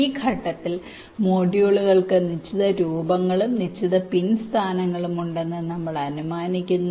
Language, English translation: Malayalam, at this stage we assume that the modules has fixed shapes and fixed pin locations